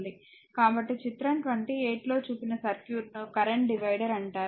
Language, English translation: Telugu, So, circuit shown in figure 28 is called the current divider